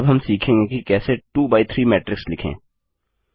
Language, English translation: Hindi, Now well learn how to write the 2 by 3 matrix